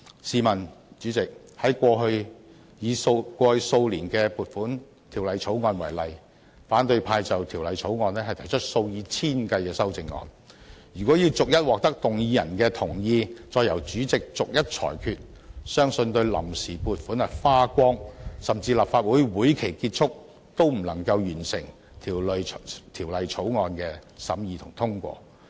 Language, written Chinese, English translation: Cantonese, 主席，以過去數年的《撥款條例草案》為例，反對派就《條例草案》提出數以千計的修正案，如果要逐一獲得動議人的同意，再逐一由主席裁決，相信到臨時撥款花光，甚至立法會會期結束，也不能完成《條例草案》的審議和通過。, President take the Appropriation Bill the Bill in each of the past few years as an example . Opposition Members proposed thousands of amendments to the Bill . If consent of each mover is required after which the President shall make a ruling on each amendment I believe deliberation of the Bill cannot be completed and the Bill cannot be passed after the provision on account has been exhausted or even at the end of the session of the Legislative Council